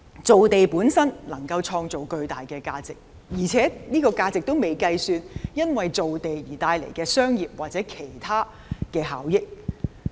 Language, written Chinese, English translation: Cantonese, 造地本身能夠創造巨大的價值，而且這個價值尚未計算因造地而帶來的商業或其他效益。, Creating land itself will create enormous value and also there will be commercial and other benefits to be brought about by reclamation